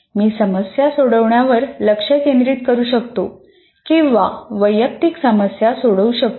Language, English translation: Marathi, I can start discussions, I can focus on solving the problems or address individual issues